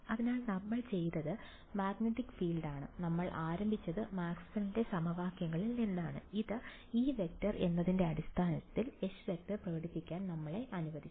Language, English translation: Malayalam, So, all we did was we wanted the magnetic field, we started with the Maxwell’s equations, which allowed us to express H in terms of E